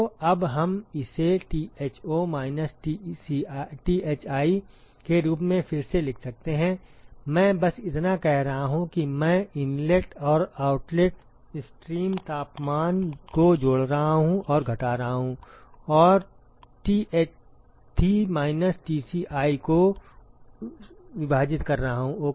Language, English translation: Hindi, So, now, we can rewrite this as Tho minus Thi, all I am doing is I am adding and subtracting the inlet and the outlet stream temperatures plus Thi minus Tci divided by ok